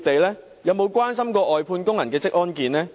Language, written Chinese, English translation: Cantonese, 他們有否關心外判工人的職安健？, Are they concerned about the occupational safety and health of outsourced workers?